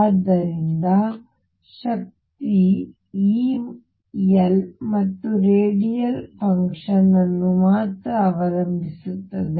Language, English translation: Kannada, So, the energy E depends on L and radial function r only